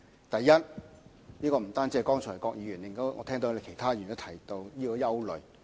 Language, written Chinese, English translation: Cantonese, 第一，不僅是郭議員，我剛才亦聽到其他議員也提到同樣的憂慮。, First apart from Mr KWOK I have heard other Members raising the same concerns too